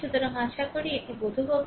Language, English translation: Bengali, So, hopefully it is understandable to you right